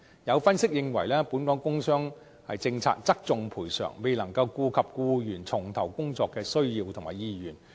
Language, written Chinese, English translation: Cantonese, 有分析認為，本港工傷政策側重賠償，未能顧及僱員重投工作的需要和意願。, Some analyses stated that the policy on work injury in Hong Kong emphasizes compensation but fails to take into account employees needs and willingness to resume work